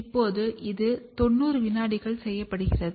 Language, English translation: Tamil, Now, this is done for 90 seconds not more than 90 seconds